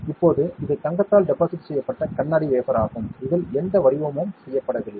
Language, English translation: Tamil, Now, this is a glass wafer that is deposited with gold, there is no patterning done on this ok